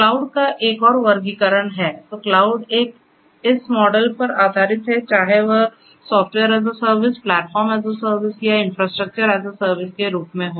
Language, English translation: Hindi, There are there is another classification of clouds right so cloud one is based on this models whether it is software service platform is service or infrastructure is a service